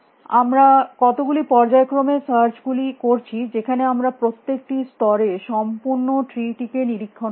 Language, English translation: Bengali, We are doing a sequence of searches in which we are inspecting the complete tree at every level